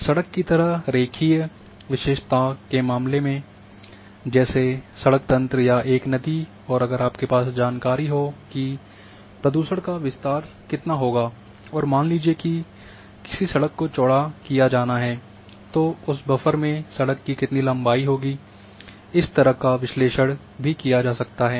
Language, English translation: Hindi, In case of a line feature like a road network or a river if you want if you are having information like how much what would be the extend of the pollution and in case of a suppose a road has to be widen then how much whose land how much length will come under that buffer when you widen the road that analysis can also be done